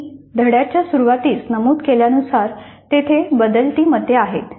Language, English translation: Marathi, And as I mentioned at the start of the session, there are changing views